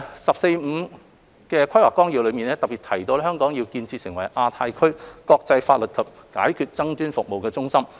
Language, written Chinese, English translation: Cantonese, 《十四五規劃綱要》特別提及香港要建設成為亞太區國際法律及解決爭議服務中心。, The 14 Five - Year Plan mentions specifically that Hong Kong is to establish itself as a centre for international legal and dispute resolution services in the Asia - Pacific region